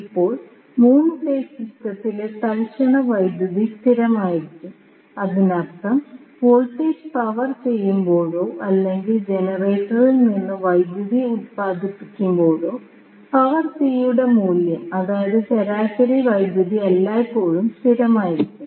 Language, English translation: Malayalam, Now, the instantaneous power in a 3 phase system can be constant that means that when you power the voltage or the power is being generated from the generator the value of power p that is average power will always be constant